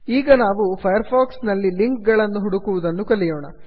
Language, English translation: Kannada, Now lets learn about searching for links in firefox